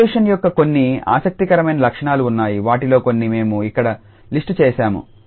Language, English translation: Telugu, There are some interesting properties of the convolution some of them we will list here